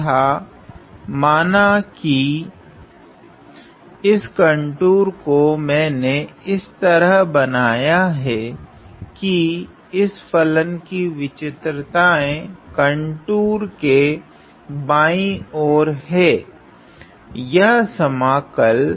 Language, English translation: Hindi, And I were to were to complete the contour notice that let us say my singularity of this function lies to the left of this contour this; this integral